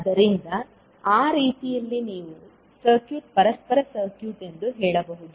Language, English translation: Kannada, So, in that way you can say that the circuit is a reciprocal circuit